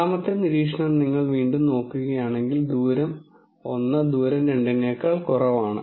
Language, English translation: Malayalam, The second observation again if you look at it distance 1 is less than distance 2